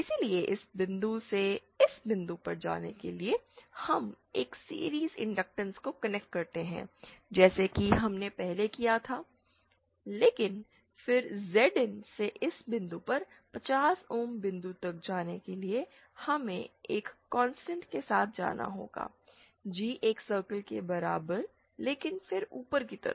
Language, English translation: Hindi, So, for going from this point to this point, we connect a series inductance as we did previously but then for going from Zin this point to the 50 ohm point, we have to travel along a constant, along a G equal to one circle but then upwards